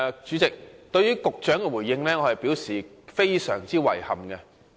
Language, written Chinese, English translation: Cantonese, 主席，對於局長的回應，我表示非常遺憾。, President I express deep regrets at the reply given by the Secretary